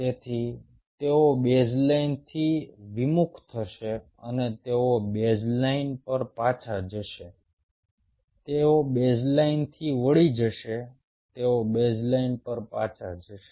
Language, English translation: Gujarati, so they will deflect from the baseline and they will go back to the baseline